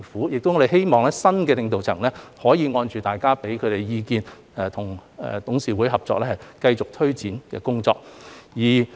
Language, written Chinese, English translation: Cantonese, 我們希望新的領導層可以按照大家的意見，跟董事會合作，繼續推展工作。, We hope that the new leadership will cooperate with the Board of Directors and continue to take forward the work in accordance with the views of Members